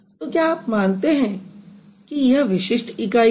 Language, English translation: Hindi, So, do you think tree itself is a distinctive unit